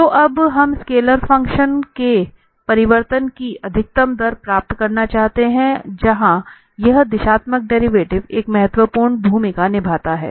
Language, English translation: Hindi, So, now, we want to get the maximum rate of change of a scalar function and where this directional derivative plays an important role